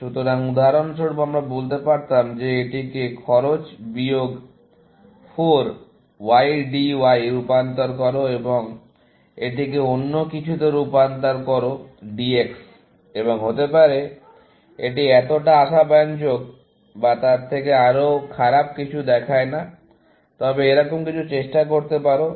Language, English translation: Bengali, So, for example, you could have said that transform this to cost minus 4 YDY, and transform this into something else, DX, and may be, it does not look so promising or something of even, worst you could try something like this